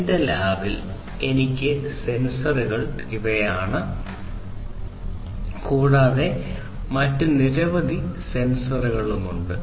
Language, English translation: Malayalam, And these are the ones the sensors actually that I have in my lab, and there are many other sensors also